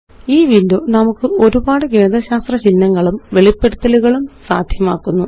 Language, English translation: Malayalam, This window provides us with a range of mathematical symbols and expressions